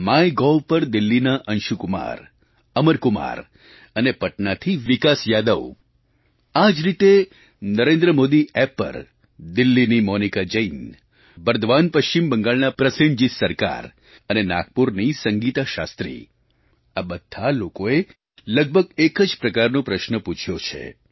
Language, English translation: Gujarati, Anshu Kumar & Amar Kumar from Delhi on Mygov, Vikas Yadav from Patna; on similar lines Monica Jain from Delhi, Prosenjit Sarkar from Bardhaman, West Bengal and Sangeeta Shastri from Nagpur converge in asking a shared question